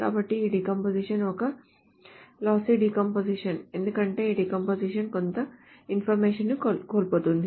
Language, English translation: Telugu, So this decomposition is a lossy decomposition because this decomposition loses certain information